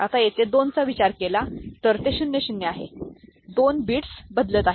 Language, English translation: Marathi, Now, here when it comes to 2, it is 1 0; 2 bits are changing